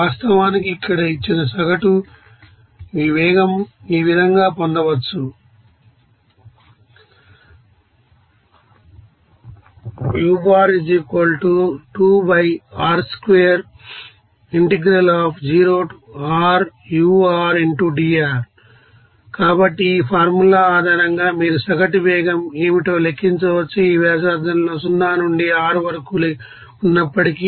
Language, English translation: Telugu, This average velocity actually given by the average here is velocity can be obtained by your means, here So, based on this formula you can calculate what should be the average velocity, within this you know radius that is 0 to R are despite